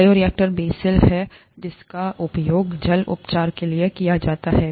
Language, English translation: Hindi, Bioreactors are the basal ones that are used for water treatment